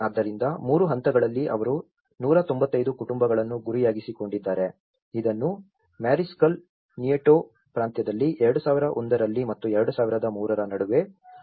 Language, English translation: Kannada, So, the 3 stages, they targeted 195 families, which is implemented in Mariscal Nieto Province between about 2001 and 2003